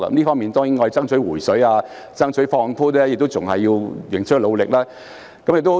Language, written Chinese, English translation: Cantonese, 我們在爭取"回水"、爭取放寬方面，仍須努力。, We still have to work hard in pushing for repayment of MPF contributions and relaxation of the relevant restrictions